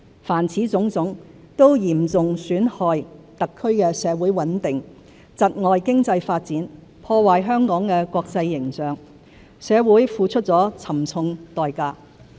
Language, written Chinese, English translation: Cantonese, 凡此種種，都嚴重損害特區的社會穩定、窒礙經濟發展、破壞香港的國際形象，社會付出了沉重代價。, All these have seriously undermined the social stability of the HKSAR impeded its economic development and tarnished its international image and for which our society has paid a high price